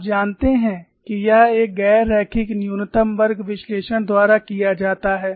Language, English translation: Hindi, And you know this is done by a non linear least squares analysis